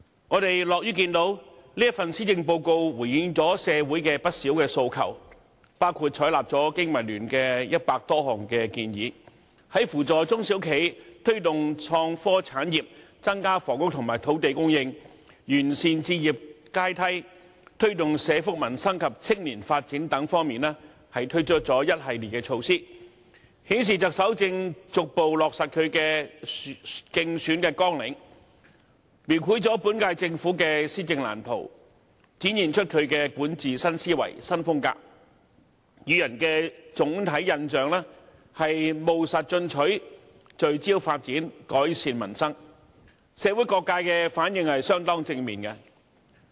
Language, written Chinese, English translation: Cantonese, 我們樂於見到，這份施政報告回應了社會的不少訴求，包括採納了經民聯約100多項建議，在扶助中小企、推動創科產業、增加房屋和土地供應、完善置業階梯、推動社福民生及青年發展等方面，推出一系列措施，顯示特首正逐步落實她的競選政綱，描繪了本屆政府的施政藍圖，展現出她的管治新思維、新風格，予人的總體印象是"務實進取，聚焦發展，改善民生"，社會各界的反應相當正面。, We are pleased to see that this Policy Address has responded to quite a number of aspirations of the community . For example it has adopted over 100 proposals of BPA and introduced a series of measures to support small and medium enterprises promote innovation and technology industries increase the supply of housing and land improve the housing ladder as well as promote social welfare peoples livelihood and youth development . This shows that the Chief Executive is gradually honouring the pledges in her Election Manifesto